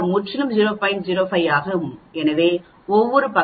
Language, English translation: Tamil, 05 so each side will be 0